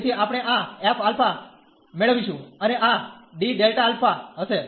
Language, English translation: Gujarati, So, we get this f alpha and this d delta alpha will be there